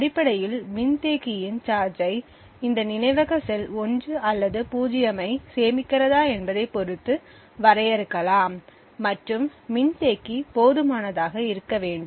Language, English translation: Tamil, So essentially the charge of the capacitor defines whether this memory cell is storing a 1 or a 0 and capacitor must be large enough